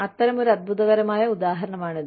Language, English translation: Malayalam, It is such a wonderful example